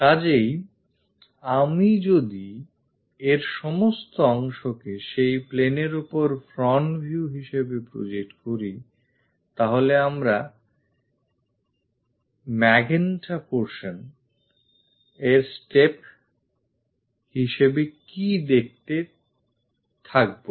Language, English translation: Bengali, So, if I am going to project this entire part onto that plane as the front view what we will be seeing is this magenta portion as steps